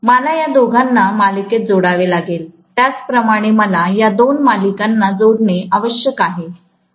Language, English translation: Marathi, I will have to connect these two in series, similarly I have to connect these two in series